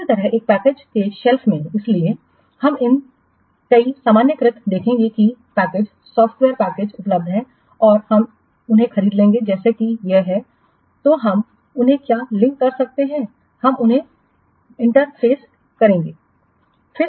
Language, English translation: Hindi, Similarly in the of the self package, so we will see several generalized what packages or software packages are available and we will bought them as it is then we may what link them will interface them